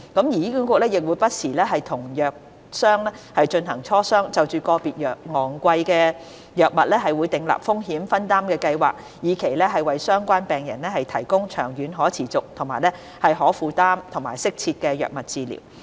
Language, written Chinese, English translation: Cantonese, 醫管局亦會不時與藥商進行磋商，就個別昂貴藥物訂立風險分擔計劃，以期為相關病人提供長遠可持續、可負擔和適切的藥物治療。, HA also holds discussions with pharmaceutical companies from time to time on setting up patient access programmes for specific expensive drug treatments to provide patients with sustainable affordable and optimal drug treatments in the long term